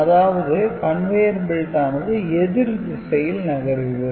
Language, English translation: Tamil, So, basically the conveyer belt is moving in the reverse direction